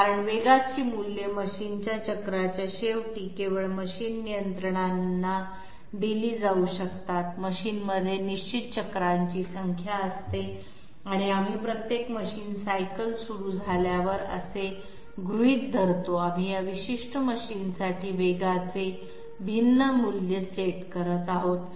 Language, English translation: Marathi, Because velocity values can only be imparted to the machine controls at the end of a machine cycle, a machine has a definite number of cycles and at say we assume at each machine cycle start, we are setting a different value of velocity for that particular machine